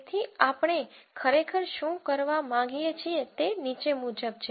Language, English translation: Gujarati, So, what we really would like to do is the following